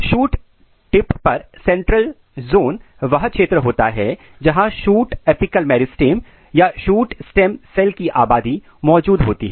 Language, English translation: Hindi, So, if you look here the central zone; the central zone is the region where shoot apical meristem or population of shoot stem cells are present